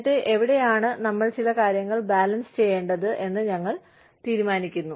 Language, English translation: Malayalam, And then, we decide, where we need to balance out, certain things